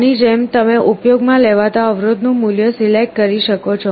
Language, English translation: Gujarati, Like this you can select the value of the resistance to be used